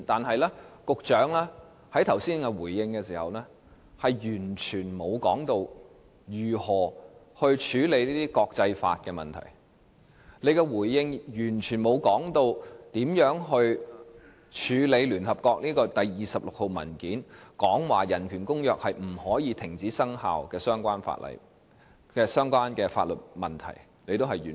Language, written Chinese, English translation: Cantonese, 然而，局長剛才回應時完全沒有提到如何處理這些國際法問題，亦沒有提到如何處理委員會第26號一般性意見指出《公約》不能停止生效的相關法律問題。, However the Secretary did not mention in his reply just now how these issues pertaining to international law can be addressed . Neither did he mention how to address the legal issue that ICCPR cannot be terminated as stated in General Comment No . 26 of the Committee